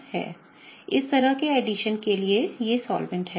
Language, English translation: Hindi, These are the solvents for this kind of addition